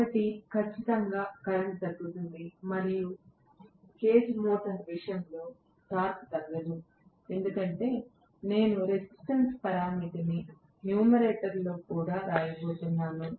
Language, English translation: Telugu, One is definitely the current comes down, no doubt, and torque does not get as reduced as in the case of cage motor because I am going to have this resistance parameter even coming up in the numerator right